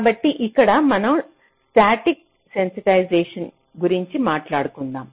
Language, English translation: Telugu, so here we talk about something called static sensitization